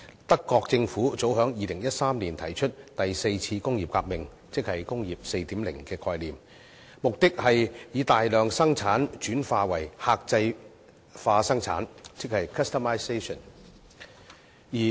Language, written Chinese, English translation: Cantonese, 德國政府早於2013年提出第四次工業革命，即"工業 4.0" 的概念，目的是以大量生產轉化為客製化生產。, The German Government put forward the vision of the fourth industrial revolution or the idea of Industry 4.0 as early as in 2013 . The objective is to transform mass production into customization